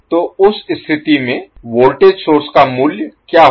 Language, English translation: Hindi, So what will be the value of voltage source in that case